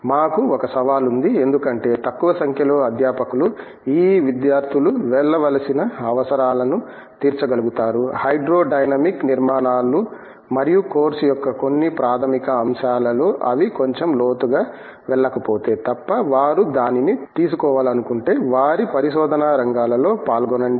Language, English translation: Telugu, We do have a challenge because with a relatively small number of faculty being able to satisfy the requirements that these students need to go through, we do find that unless they have gone in a little in depth into some of the fundamental aspects such as, hydrodynamic structures and of course, whatever else they want to take it, take up in their research areas